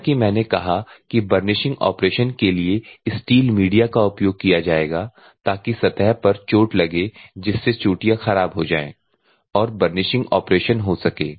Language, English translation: Hindi, At the same time steel media for burnishing as I said the steel media will be used for the burnishing operation so, that the surface will be hit so that the peaks will deform and burnishing action will takes place